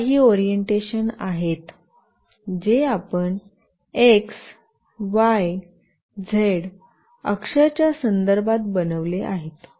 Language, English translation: Marathi, So, these are the few orientation, which we have made with respect to x, y, z axis